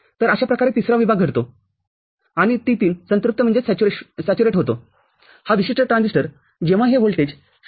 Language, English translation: Marathi, So, this is how the third zone occurs and the T3 saturates at, this particular transistor saturates at when this reaches a voltage 0